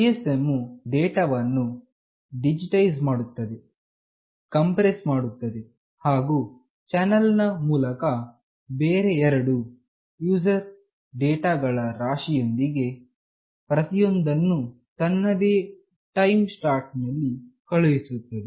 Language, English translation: Kannada, GSM digitizes and compresses data, then it sends it over a channel with two other streams of user data, each in its own time slot